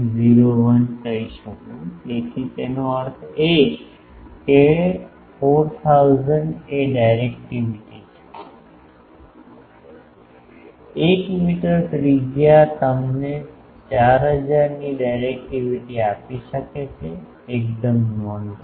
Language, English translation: Gujarati, 01 so that means, 4000 is the directivity; 1 meter radius can give you directivity of 4000, quite remarkable